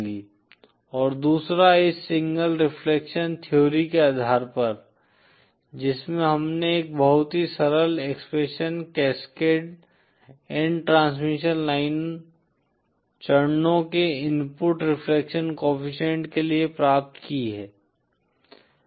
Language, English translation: Hindi, And the second based on this single reflection theory we have obtained a very simple expression for the input reflection coefficient of the cascade of n transmission line stages